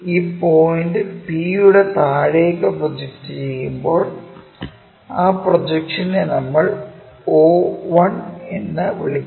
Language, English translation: Malayalam, On the projection of this point P, all the way down is P and that projection all the way there we call o1